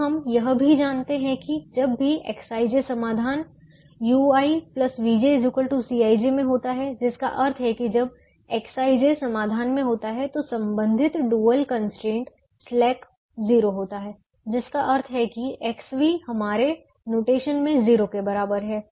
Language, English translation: Hindi, now we also know that whenever x i j is in the solution, u i plus v j is equal to c i j, which means when x i j is in the solution, then the corresponding dual constraint, the slack, is zero, which means x v is equal to zero in our notation, which also means complimentary slackness is satisfied